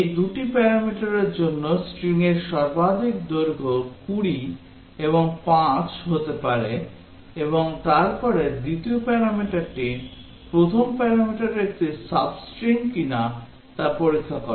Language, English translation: Bengali, The maximum length of string can be 20 and 5 for these two parameters and then the function checks whether the second parameter is a sub string of the first parameter